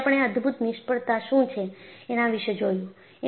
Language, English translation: Gujarati, Then, we looked at, what are all spectacular failures